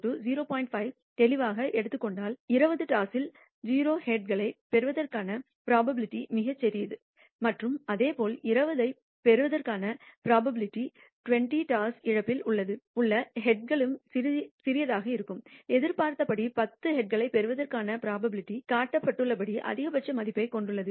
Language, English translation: Tamil, 5 clearly, it shows the probability of receiving 0 heads in 20 tosses is extremely small and similarly the probability of obtaining 20 heads in 20 tosses loss is also small as expected the probability of obtaining ten heads has the maximum value as shown